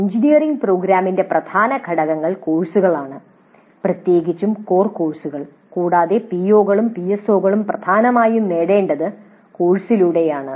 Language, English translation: Malayalam, Courses constitute major elements of an engineering program particularly the core courses and POs and PSOs have to be majorly attained through courses